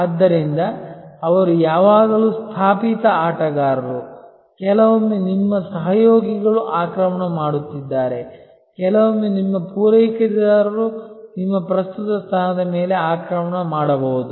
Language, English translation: Kannada, So, they are always niche players attacking, sometimes your collaborators are attacking, sometimes your suppliers maybe attacking your current position